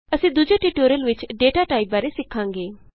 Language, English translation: Punjabi, We will learn about data types in another tutorial